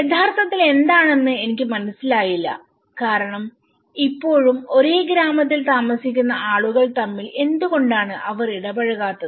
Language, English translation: Malayalam, I didnÃt realize what was really because still, the people are living in the same village what did why they are not interactive